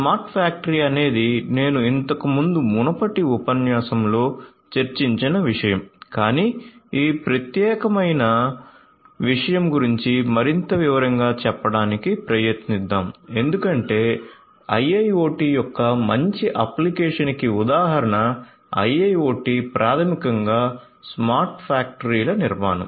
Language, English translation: Telugu, So, smart factory is something that I have already discussed in a previous lecture, but let us try to you know go over this particular thing in much more detailed because IIoT a good application you know instance of IIoT is basically the building of smart factories